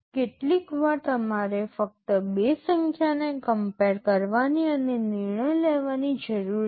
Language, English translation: Gujarati, Sometimes you just need to compare two numbers and take a decision